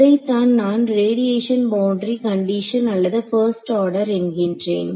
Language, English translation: Tamil, So, this is what is called your either you call the radiation boundary condition or 1st order